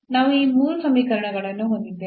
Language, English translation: Kannada, So, we have these 3 conditions